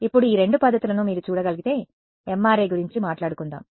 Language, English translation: Telugu, Now, both of these methods if you can see so, let us talk about MRI